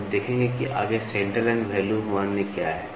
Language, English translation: Hindi, We will see what is centre line next